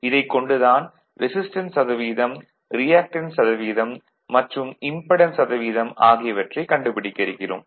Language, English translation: Tamil, You have to find out the impedance value, percentage resistance and percentage reactance